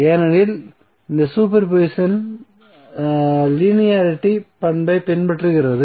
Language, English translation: Tamil, Because this super position is following the linearity property